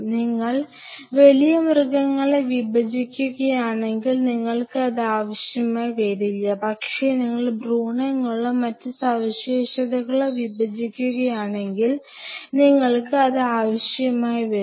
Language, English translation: Malayalam, If you are dissecting big animals you may not need it, but if you are dissecting embryos or features, you will be needing it